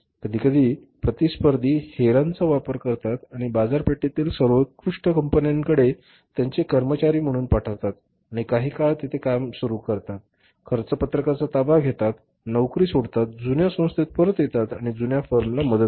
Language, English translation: Marathi, Sometime the competitors use the spies who are sent to the best firms in the market as their employees and they start working there for some period of time, take say the possession of the cost sheet, leave the job, come back to their older organization and help their older forms